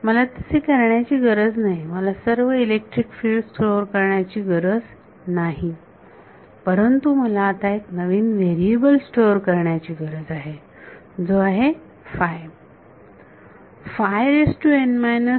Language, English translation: Marathi, So, I do not need to so, I do not need to store all the electric fields, but I need to store one new variable which is psi